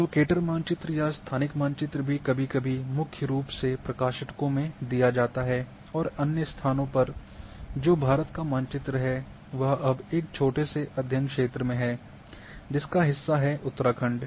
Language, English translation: Hindi, The locator map or location map also sometimes given mainly in the publications and other places that which map of India is there now in a small study area which is part of Uttarakhand